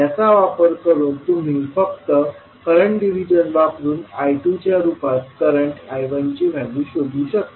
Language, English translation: Marathi, So using this you can simply use the current division and find out the value of I 1 in terms of I 2